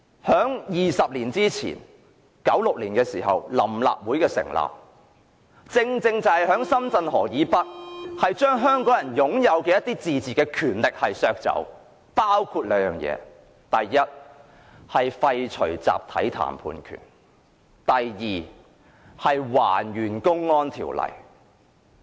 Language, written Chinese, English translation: Cantonese, 在20年前的1996年，臨立會成立，正正就在深圳河以北，將香港人的一些自治權力削走，包括兩件事：第一，廢除集體談判權；第二，還原《公安條例》。, In 1996 some 20 years ago the Provisional Legislative Council was established . On the north side of the Shenzhen River it reduced Hong Kong peoples autonomy by firstly repealing the right to collective bargaining; and secondly reversing the Public Order Ordinance